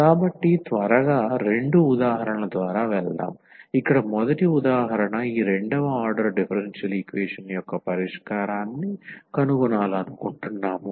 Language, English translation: Telugu, So let us go through a quickly a two examples, so the first example here we want to find the solution of this second order differential equation